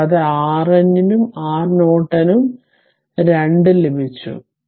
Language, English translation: Malayalam, And your R N also Norton we have got 2 ohm